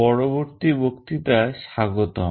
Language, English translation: Bengali, Welcome to the next lecture